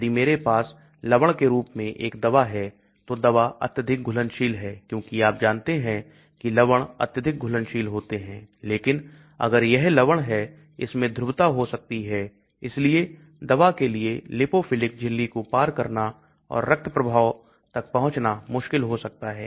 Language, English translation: Hindi, If I have a drug in salt form, drug is highly soluble because as you know salts are highly soluble but if it is a salt form it may have polarity so it may be difficult for the drug to cross the lipophilic membrane and reach the blood stream